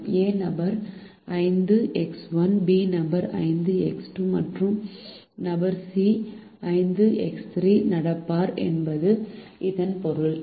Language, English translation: Tamil, it also means that person a is going to walk five minus one, person b will walk five minus x two and person c will walk five minus x three